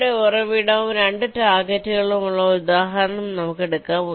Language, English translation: Malayalam, lets take an example like this, where i have the source here and the two targets